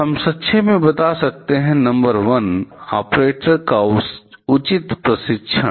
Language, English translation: Hindi, We can summarize as number 1: Proper training of the operators